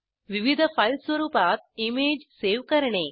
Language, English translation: Marathi, Save the image in various file formats